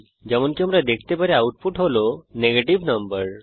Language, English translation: Bengali, As we can see, we get the output as negative number